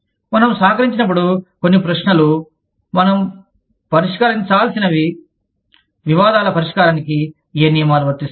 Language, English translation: Telugu, When we collaborate, some questions, that we need to address are, what rules will apply, to the resolution of disputes